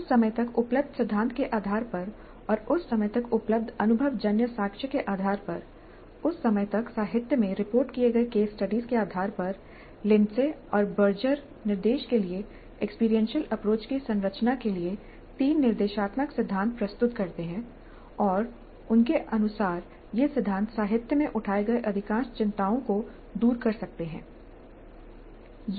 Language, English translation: Hindi, Based on the theory that was available up to that point of time and based on the empirical evidence that was available to that time, based on the case studies reported in the literature of the time, Lindsay and Berger present three prescriptive principles to structure the experiential approach to instruction and according to them these principles can address most of the concerns raised in the literature